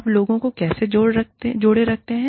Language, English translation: Hindi, How do you keep people, engaged